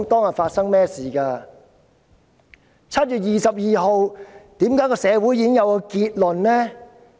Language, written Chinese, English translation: Cantonese, 為何社會在7月22日便已有結論？, How come the community can draw a conclusion on 22 July?